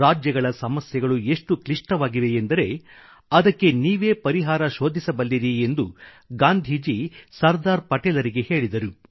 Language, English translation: Kannada, Gandhiji considered Sardar Patel as the only one capable of finding a lasting solution to the vexed issue of the states and asked him to act